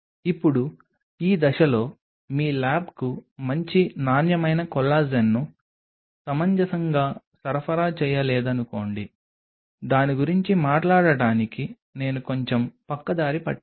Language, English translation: Telugu, Now, at this stage I will take a slight detour to talk about suppose your lab does not get a reasonable supply of good quality collagen